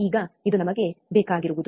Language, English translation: Kannada, Now this is what we want